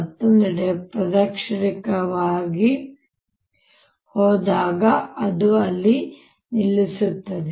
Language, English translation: Kannada, on the other hand, when it goes clockwise, it is stopped